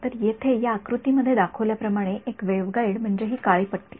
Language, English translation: Marathi, So, a waveguide as shown in this figure over here is this black strip over here